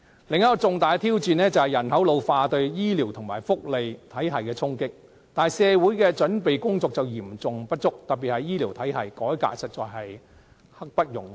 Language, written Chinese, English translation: Cantonese, 另一項重大挑戰是人口老化對醫療及福利體系的衝擊，但社會的準備工作嚴重不足，特別是醫療體系的改革實在刻不容緩。, Another major challenge is the impact of the ageing population on the health care and welfare systems . Society is ill - prepared for this particularly in terms of health care system reform which is imperative